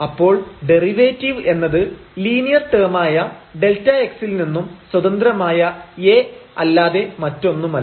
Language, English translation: Malayalam, So, the derivative is nothing, but this A which is written here in the linear term A which is free from delta x